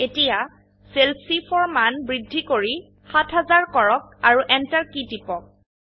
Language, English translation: Assamese, Now, let us increase the value in cell C4 to 7000 and press the Enter key